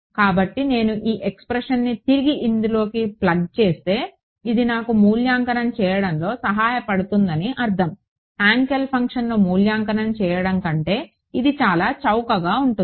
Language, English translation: Telugu, So, if I plug this expression back into this that is I mean that is what will help me evaluating this is much cheaper than evaluating Hankel function right